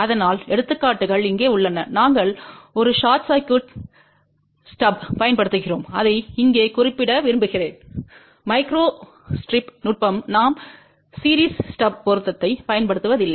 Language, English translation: Tamil, So, the examples are here we are using a short circuited stub I just want to mention here that in the micro strip technique we do not use series stub matching